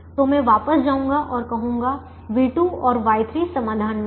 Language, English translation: Hindi, so that leaves me with v two and y two in the solution